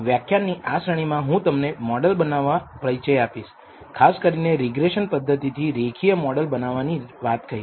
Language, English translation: Gujarati, In this series of lectures I am going to introduce to you model building; in particular I will be talking about building linear models using a techniques called regression techniques